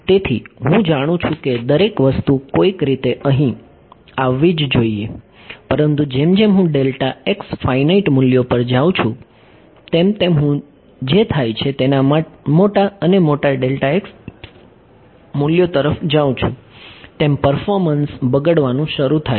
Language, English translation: Gujarati, So, I know that everything should somehow land up over here, but as I go to finite values of delta x as I go to larger and larger values of delta x what happens is the performance begins to degrade